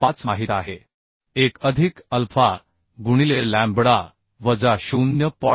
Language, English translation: Marathi, 5 into 1 plus alpha lambda minus 0